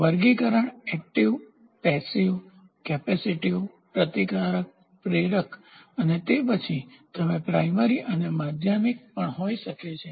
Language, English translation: Gujarati, So, classification active, passive, capacitive, resistive, inductive and then you can also have primary and secondary so on